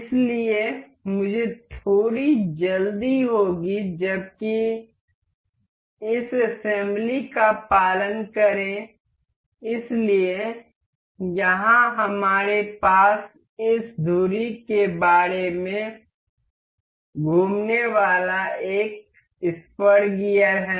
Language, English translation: Hindi, So, I will be little quick while this assembly please follow; so, here we have this one spur gear rotating about this axle